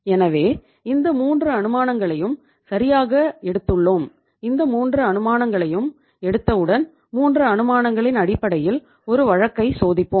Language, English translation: Tamil, So we have taken these 3 assumptions right and once we have taken these 3 assumptions so on the basis of 3 assumptions we will test a case